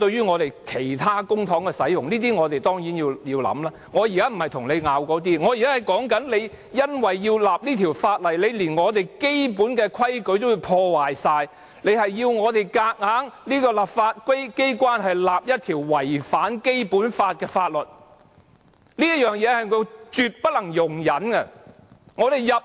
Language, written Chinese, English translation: Cantonese, 我現在不是要爭拗這些，而是說因為要訂立這項法例，連我們基本的規矩也完全破壞，硬要我們這個立法機關訂立一項違反《基本法》的法律，這是絕不能容忍的。, I do not intend to argue over all this and what I wish to say is that the Government in order to enact this Bill has broken all the basic rules while forcing us in the legislature to pass a Bill that contravenes the Basic Law and this is absolutely intolerable